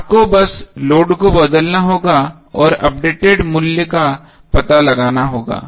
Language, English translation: Hindi, You have to just simply change the load and find out the updated value